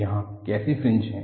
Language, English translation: Hindi, Here how the fringes are